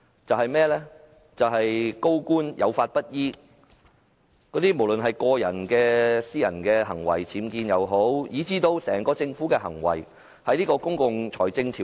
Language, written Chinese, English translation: Cantonese, 就是高官有法不依，無論是僭建等個人行為，還是政府整體行為；當局有否遵循《公共財政條例》？, The senior officials do not act in accordance with the law be it personal behaviour such as having unauthorized structures or the Governments overall conduct . Did the authorities abide by the Public Finance Ordinance?